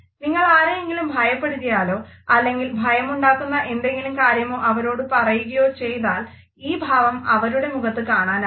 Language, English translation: Malayalam, So, if you scare someone or tell someone something that scares them, they will usually make this face